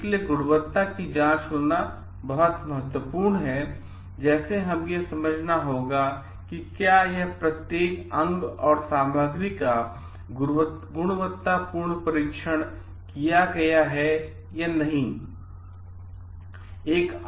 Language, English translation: Hindi, So, having quality check is very, very important, like, we have to understand like whether this each and every parts and material have been quality tested or not